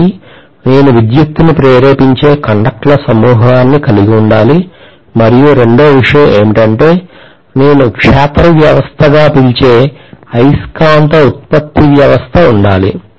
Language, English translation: Telugu, One is I should be able to have a bunch of conductors in which electricity will be induced and the second thing is I will need a magnetism producing system which we call as the field system